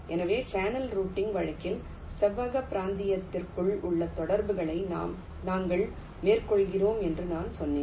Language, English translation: Tamil, so, as i said that here in ah channel routing case, we carry out the interconnections within rectangular region, now inside the channel, the way we have defined it